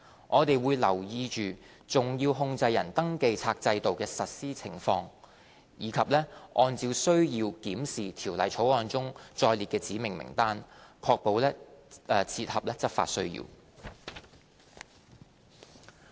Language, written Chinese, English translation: Cantonese, 我們會留意重要控制人登記冊制度的實施情況，以及按需要檢視《條例草案》中載列的指明名單，確保切合執法需要。, We will keep in view the implementation of the SCR regime and review the specified list under the Bill whenever necessary to ensure that it is in keeping with law enforcement needs